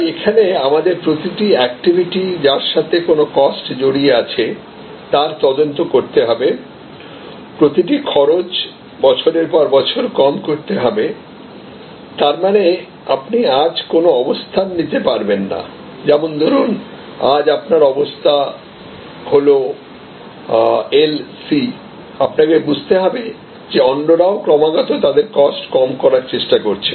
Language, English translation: Bengali, So, here; obviously, we have to scrutinize each cost activity, manage each cost lower year after year; that means, it is not you cannot take a position today then say this is LC, but a Low Cost position, you have to understand that others are constantly trying to lower their cost